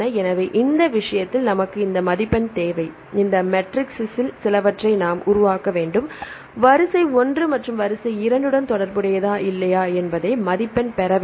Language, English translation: Tamil, So, we need this score in this case we need to develop some of these matrices, to score whether sequence one is related with the sequence two or not